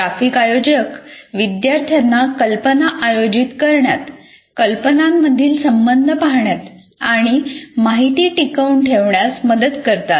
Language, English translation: Marathi, And graphic organizers help students organize ideas, see relationships between ideas, and facilitate retention of information